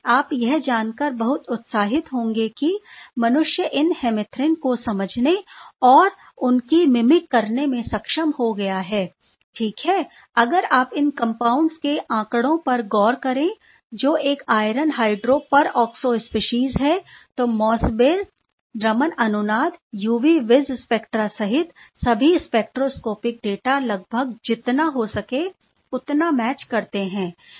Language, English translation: Hindi, You must be very excited to note that humans afford to understand and mimic these hemerythrin was quite successful ok, if you look at the data of these compound which is a iron hydroperoxo species, all the spectroscopic data including Mossbauer resonance Raman, UV vis spectra matches almost as close as one can get; perhaps can think of getting right